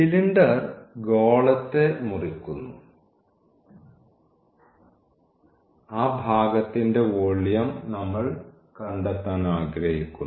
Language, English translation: Malayalam, So, the sphere is the cylinder is cutting the sphere and that portion we want to find the volume